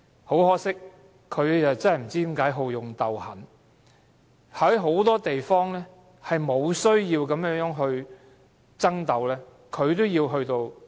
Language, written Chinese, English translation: Cantonese, 可惜，不知何故，他竟好勇鬥狠，在許多不必要涉及爭鬥之處，他也要這樣做。, Unfortunately for some reasons unknown he indulged in aggressive rivalries provoking disputes over many uncontroversial issues